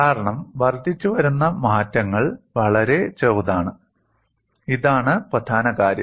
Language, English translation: Malayalam, The reason is we are looking at incremental changes which are very small; this is the key point